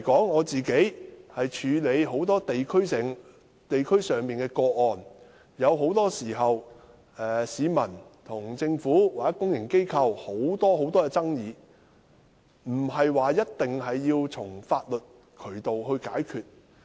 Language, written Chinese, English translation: Cantonese, 我過往處理很多地區上的個案，市民與政府或公營機構之間的許多爭議，不一定要循法律渠道解決。, In the previous cases which I handled at district level many disputes between members of the public and the Government or public organizations did not necessarily have to be resolved by legal means